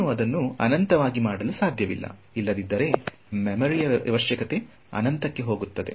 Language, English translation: Kannada, I cannot make it infinitely small otherwise the memory requirement will go to infinity